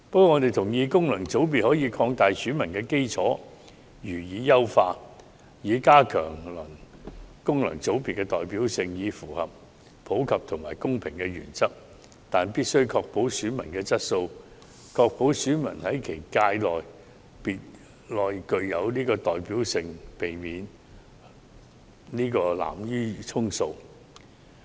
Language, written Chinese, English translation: Cantonese, 我們同意可以擴大及優化功能界別選民基礎，以加強功能界別的代表性，符合普及和公平的原則，但必須確保選民質素，以及確保選民在其界別內有代表性，避免濫竽充數。, We support the idea of expanding and enhancing the electorate of FCs to increase the representativeness of FCs and comply with the principles of universality and equality . Yet the quality of FCs electors must be guaranteed . They should have representativeness in their own sector rather than being put on the list to simply make up the number of electors